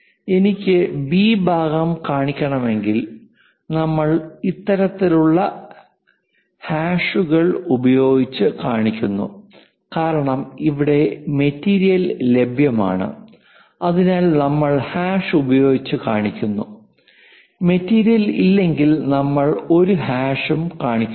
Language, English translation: Malayalam, If I want to show B part, we show it by this kind of hashes because it is something like material is available there, we are showing by hash and material is not there so, we are not showing any hash